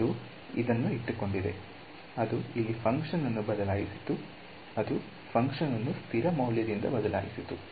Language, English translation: Kannada, It kept it, it replaced the function over here, it replaced the function by a constant value right